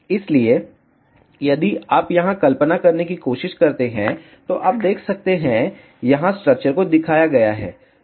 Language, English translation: Hindi, So, if you try to visualize here, you can see this here the structure is shown